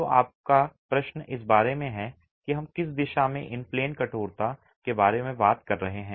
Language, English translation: Hindi, So your question is about the, in which direction are we talking about in terms of the in plane stiffness